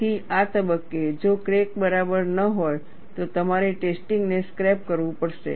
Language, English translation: Gujarati, So, at this stage, if the crack is not alright, then you have to scrap the test; then you have to redo the test